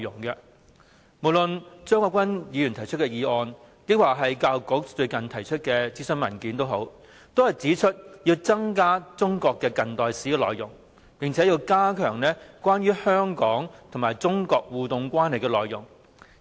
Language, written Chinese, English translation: Cantonese, 不論是張國鈞議員提出的議案，或是教育界近日提出的諮詢文件，也指出要增加中國近代史的內容，並且要加強有關香港與中國互動關係的內容。, In the motion moved by Mr CHEUNG Kwok - kwan and in the consultation document recently issued by the education sector it is pointed out that more coverage should be given to contemporary history and the interactive relationship between Hong Kong and the Mainland China